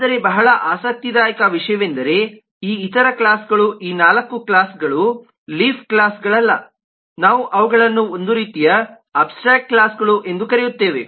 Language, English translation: Kannada, but very interesting thing is these other classes, these four classes which are not leaf, the kind of we will refer to them as kind of abstract classes and we will go with this concept of a class being abstract more and more